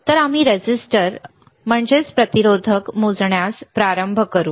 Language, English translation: Marathi, So, we will start with measuring the resistor